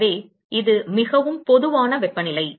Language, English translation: Tamil, So, it is a most general temperature